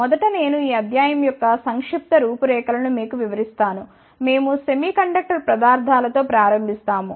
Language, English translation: Telugu, Firstly, I will give you the brief outline of this lecture, we will be starting with semiconductor materials